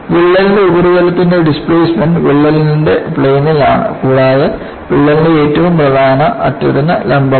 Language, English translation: Malayalam, The displacement of crack surfaces is in the plane of the crack and perpendicular to the leading edge of the crack